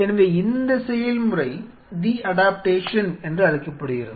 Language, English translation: Tamil, This process is called the de adaptation